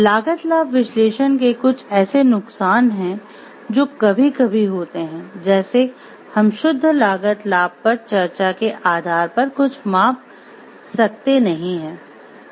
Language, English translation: Hindi, The pitfalls of cost benefit analysis are like something which there are sometimes what happens we cannot measure something based on pure cost benefit discussion